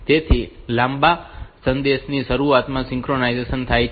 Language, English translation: Gujarati, So, synchronization occurs at the beginning of a long message